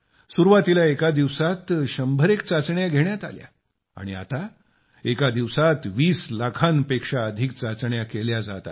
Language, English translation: Marathi, Initially, only a few hundred tests could be conducted in a day, now more than 20 lakh tests are being carried out in a single day